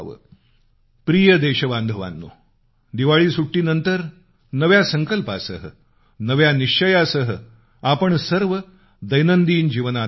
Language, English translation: Marathi, My dear countrymen, you must've returned to your respective routines after the Diwali vacation, with a new resolve, with a new determination